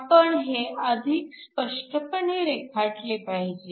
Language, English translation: Marathi, We should draw this slightly more clearly